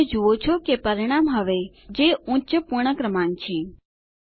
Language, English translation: Gujarati, You see that the result is now 9702 which is the higher whole number